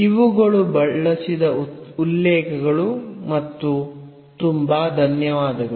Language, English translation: Kannada, So, these are the references used and thank you very much